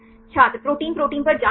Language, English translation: Hindi, Check on protein protein